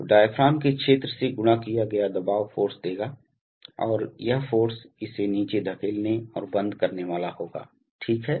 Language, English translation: Hindi, So, the pressure multiplied by the area of the diaphragm will give the force and this force will be going to push it down and close it right